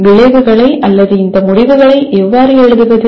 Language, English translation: Tamil, But how do we classify outcomes or how do we write these outcomes